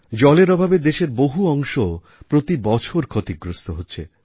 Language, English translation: Bengali, Water scarcity affects many parts of the country every year